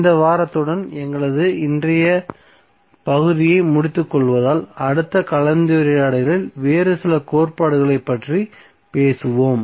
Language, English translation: Tamil, So with this week close our today’s session next session we will talk about few other theorems thank you